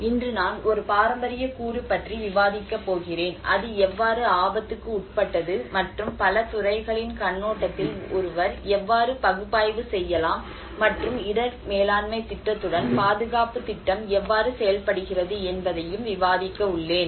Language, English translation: Tamil, Today, I am going to discuss about a heritage component, how it is subjected to risk and how one can analyze from a very multi disciplinary perspective and also how the conservation plan works along with the risk management plan